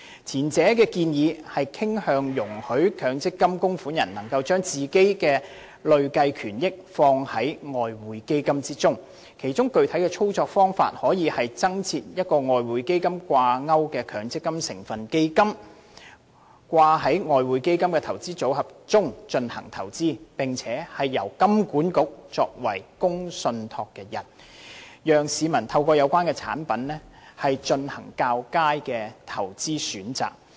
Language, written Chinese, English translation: Cantonese, 前一項建議傾向容許強積金供款人能夠將自己的累計權益放於外匯基金，其具體操作方法可以是增設一項與外匯基金掛鈎的強積金成分基金，併入外匯基金的投資組合中進行投資，並由香港金融管理局作為公共信託人，讓市民透過有關產品進行較佳的投資選擇。, The first proposal allows MPF contributors to allocate their accrued benefits to the Exchange Fund . The specific operational approach is to introduce an MPF constituent fund linked to the Exchange Fund and integrated into the investment portfolios of the Exchange Fund for investment . The Hong Kong Monetary Authority can act as its public trustee so that members of the public will be able to make a better investment choice through the relevant product